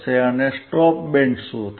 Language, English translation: Gujarati, What will be a stop band